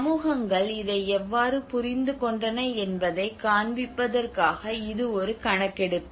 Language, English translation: Tamil, You know this is a kind of survey which have done how the communities have understood this